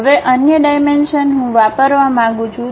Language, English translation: Gujarati, Now, other dimensions I would like to use